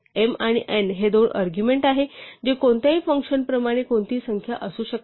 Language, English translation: Marathi, So, m and n are the two arguments which could be any number like any function